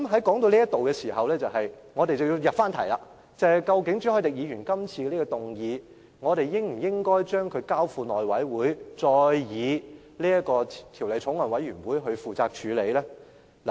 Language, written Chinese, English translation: Cantonese, 談到這部分，我們也應該入題，就是朱凱廸議員今次提出的議案，即我們應否將《條例草案》交付內務委員會以法案委員會來處理。, As we come to this point we should get on to the subject that is the motion moved by Mr CHU Hoi - dick today which is about whether or not the Bill should be referred to the House Committee . This involves a core value of Hong Kong―efficiency